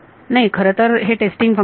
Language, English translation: Marathi, No these are well this is a testing function so